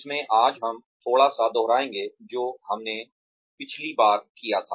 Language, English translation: Hindi, In which, today, we will revise a little bit of, what we did last time